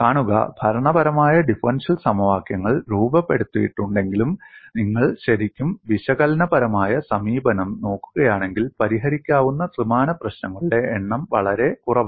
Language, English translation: Malayalam, See, although the governing differential equations are formulated; if you really look at the analytical approach, the number of three dimensional problems that are solvable are very less